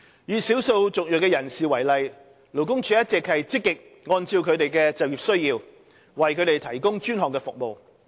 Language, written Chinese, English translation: Cantonese, 以少數族裔人士為例，勞工處一直積極按照他們的就業需要，為他們提供專項服務。, For instance in the case of ethnic minorities LD has been making proactive efforts to provide them with dedicated services that cater to their employment needs